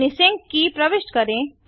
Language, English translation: Hindi, Enter your sync key